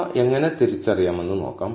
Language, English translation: Malayalam, So, let us see how to identify these